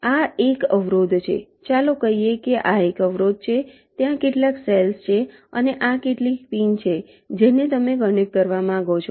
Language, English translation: Gujarati, let say this is an obstacle, there is some cells and these are some pins which you want to connect